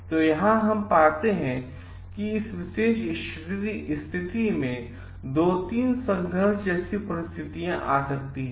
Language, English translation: Hindi, So, what we find over here like, in this particular things 2 3 things may coming to conflict